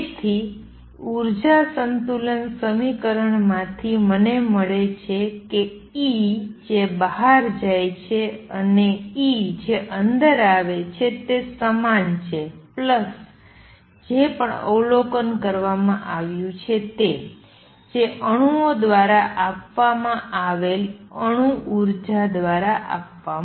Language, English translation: Gujarati, So, from the energy balance equation I am going to have going have E going out is going to be equal to E coming in plus whatever has been observed, whatever has been given by the atoms energy given by atoms